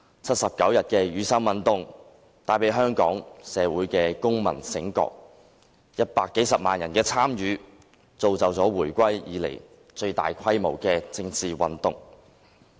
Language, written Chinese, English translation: Cantonese, 七十九天的雨傘運動帶來香港社會的公民覺醒 ，100 多萬人的參與，造就了回歸以來最大規模的政治運動。, The 79 - day Umbrella Movement brought about civil awakening in Hong Kong society attracting the participation of more than 1 million people and resulting in the biggest political movement since the reunification